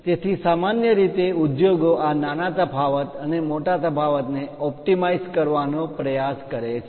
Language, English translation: Gujarati, So, usually industries try to optimize this small variation and large variation